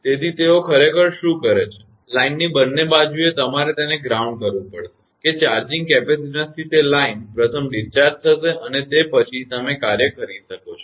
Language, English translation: Gujarati, So, what they do actually; both side of the line, you have to ground it such that that line to charging capacitance first will be discharge and after that you can work